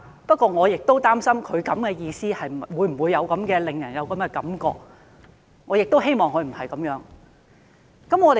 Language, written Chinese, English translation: Cantonese, 不過，我亦正是擔心他的做法會否令人有這種感覺，我很希望他不是有這樣的意思。, However I am worried that what he did would give people such an impression and I wish that this was not what he meant